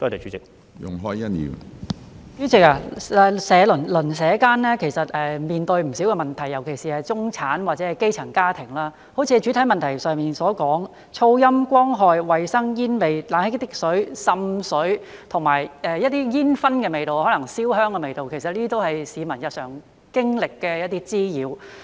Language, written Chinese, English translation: Cantonese, 主席，鄰舍間其實面對不少問題，尤其是中產或者基層家庭，正如主體質詢所說，噪音、光害、衞生、煙味、冷氣機滴水、滲水和煙燻或燒香的味道，這些都是市民日常經歷的一些滋擾。, President there are actually a lot of problems in the neighbourhood especially for middle - class or grass - roots families . As stated in the main question noise light pollution hygiene odour of cigarette smoke water - dripping of air - conditioners water seepage and fumes are actually some of the nuisances that people experience on a daily basis